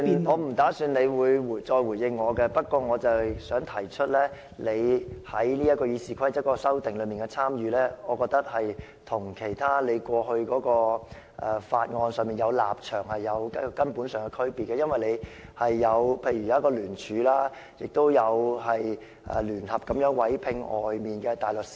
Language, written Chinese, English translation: Cantonese, 我沒有預算你會再回應我，不過我想提出，你參與《議事規則》的修訂，與你過去對處理法案的立場有根本上的區別，例如你有參與聯署，亦有聯合委聘外界的大律師。, I do not expect you will respond to me . But I wish to say that there is a fundamental difference in the way you participated in amending the Rules of Procedure and in the way you handled past bills . For instance you have jointly signed a statement and jointly engaged an external barrister